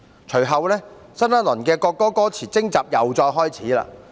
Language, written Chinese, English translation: Cantonese, 隨後，新一輪國歌歌詞徵集又再開始。, Subsequently a new round of invitation for submission of the lyrics of the national anthem started